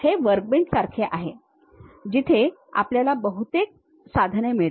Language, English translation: Marathi, This is more like a workbench where you get most of the tools